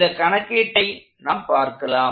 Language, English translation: Tamil, And this is, let us look at the problem